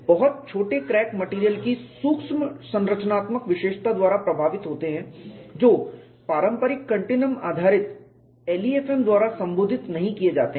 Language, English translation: Hindi, Very small cracks are influenced by micro structural feature of the material that is not addressed by the conventional continuum based LEFM, because it depends on the scale